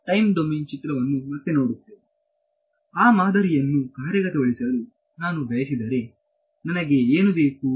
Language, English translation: Kannada, Again looking back at the time domain picture if I wanted to implement that model what do I need